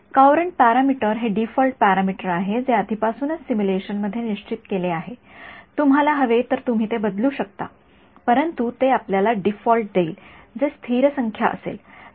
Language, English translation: Marathi, The Courant parameter is a default parameter that is already fixed in the simulation you can change it if you want, but the they give you a default which will be a stable number